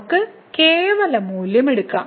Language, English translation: Malayalam, We can take the absolute value